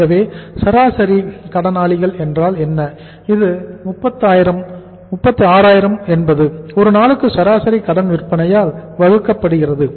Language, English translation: Tamil, So what is the average sundry debtors that is the 36000 divided by the average credit sales per day and average credit sales per day how much that is 18000